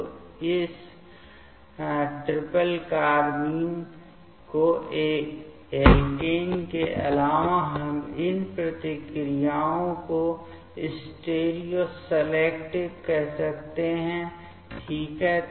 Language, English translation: Hindi, So, addition of this triplet carbene towards alkene, we can call these reactions as stereoselective ok